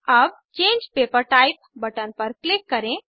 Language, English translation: Hindi, Lets click on Change Paper Type button